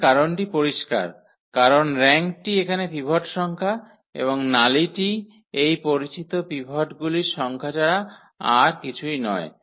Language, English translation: Bengali, The reason is clear because the rank defines exactly the number of pivots here and this nullity is nothing but the number of this known pivots